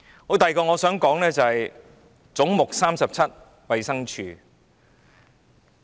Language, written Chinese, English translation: Cantonese, 我想說的第二點是總目 37― 衞生署。, The second point that I wish to make concerns Head 37―Department of Health